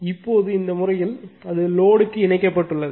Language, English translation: Tamil, Now, in this case it is connected to the load